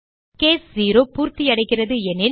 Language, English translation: Tamil, If case 0 is satisfied